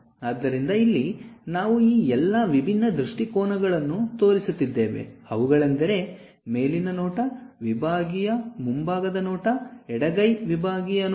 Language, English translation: Kannada, So, here we are showing all these different views; something like the top view, something like sectional front view, something like left hand sectional view